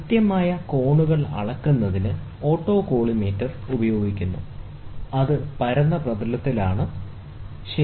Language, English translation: Malayalam, Autocollimator are used for measuring precise angles, which is there on a flat surface, ok